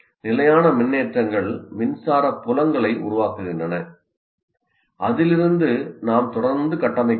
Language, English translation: Tamil, And the static charges produce electric fields and then like this I can keep on building